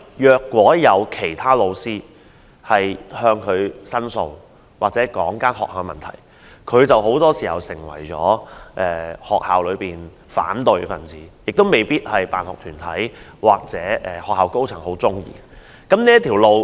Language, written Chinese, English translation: Cantonese, 若有其他老師向他提出申訴或指出學校的問題，他很多時便會成為學校內的反對派，可能成為辦學團體或學校高層所不喜歡的人物。, If teachers lodge complaints with him or point out problems in school to him very often he will become the opposition party in the school which may turn him into an unwelcome figure in the eyes of SSB or senior management in the school